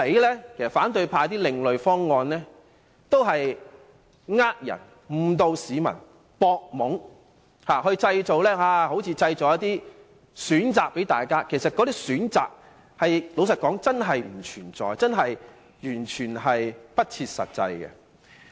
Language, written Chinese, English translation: Cantonese, 說到底，反對派所提的另類方案也是為了騙人、誤導市民和佔便宜而已，看似為大家製造一些選擇，但坦白說，那些並非真正的選擇，完全不切實際。, After all the alternatives they have put forward are purely meant to deceive and mislead the public so that they can take advantage of the issue . They seem to offer more choices but to be honest those are not real choices and not practicable at all